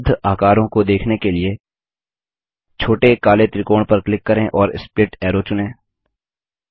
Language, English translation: Hindi, Click on the small black triangle to see the available shapes and select Split Arrow